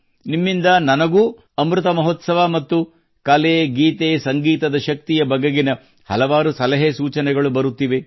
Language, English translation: Kannada, I too am getting several suggestions from you regarding Amrit Mahotsav and this strength of songsmusicarts